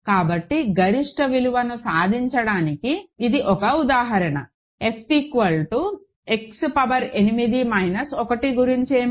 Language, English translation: Telugu, So, this is one example where the limit the maximum value is achieved, what about f equal to X power 8 minus 1